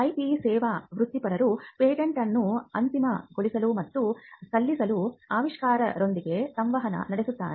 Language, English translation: Kannada, Then the IP service professionals interact with inventors to finalize and file the patent